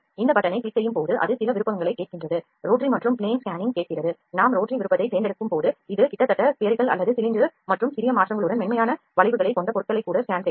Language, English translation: Tamil, When we click this button it asks for certain options rotary and plane scanning, rotary is when we choose this can scan objects that are nearly spherical to or cylindrical and have smooth curves with little changes